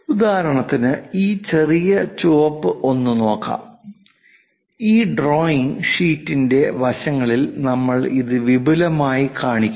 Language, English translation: Malayalam, For example, let us look at this one this small red one, that one extensively we are showing it at sides the side of this drawing sheet